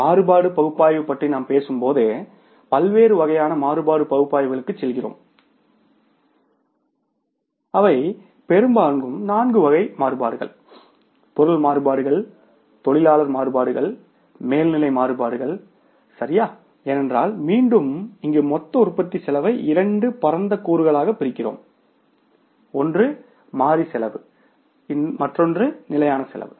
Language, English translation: Tamil, Then we talk about something like at now the variance analysis and when you talk about the variance analysis we go for the different kind of the variance analysis which are largely four type of the variances material variances labor variances overhead variances right because again here we divide the total cost of production into two broad components, variable cost and the fixed cost